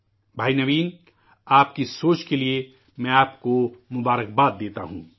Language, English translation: Urdu, Bhai Naveen, I congratulate you on your thought